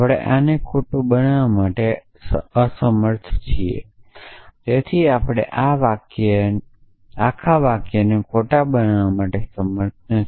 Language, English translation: Gujarati, So, we are not able to make this false, so we are not able to make this whole sentence false